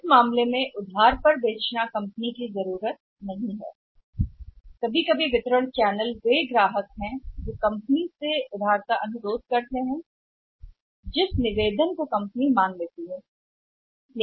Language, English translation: Hindi, In that case selling on the credit is not the requirement of the company sometime the distribution channels are the customers where request the credit which the company can accede to the request